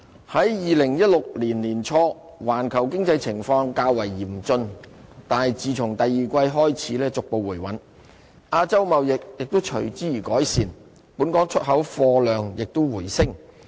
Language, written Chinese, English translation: Cantonese, 在2016年年初，環球經濟情況較為嚴峻，但自從第二季開始逐步回穩，亞洲貿易亦隨之而改善，本港出口貨量亦回升。, After a relatively critical period in early 2016 global economy gradually stabilized in the second quarter and Asias trade performance improved correspondingly followed by a rise in Hong Kongs exports